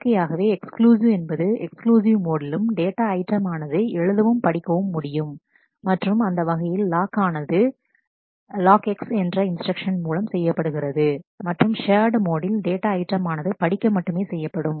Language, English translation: Tamil, Naturally the exclusive in the exclusive mode, the data item can be read and written both and such a lock is obtained by doing it lock X instruction and in the shared mode the data item can only be read